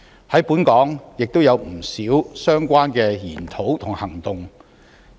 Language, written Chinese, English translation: Cantonese, 在本港亦有不少相關的研討和行動。, Many related studies and activities are also underway in Hong Kong